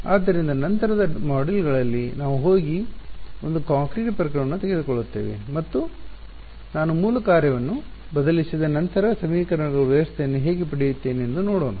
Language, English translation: Kannada, So, in subsequent modules we will go and take a concrete case and see how do I get the system of equations once I substitute the basis function